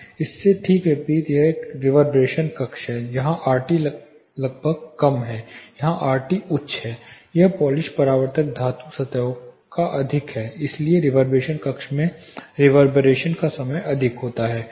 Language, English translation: Hindi, You know directly opposite thing for this is a reverberant chamber here RT is almost low, here RT is really high the reflections it is more of polished reflective metal surfaces so reverberation time is really high in reverberant chamber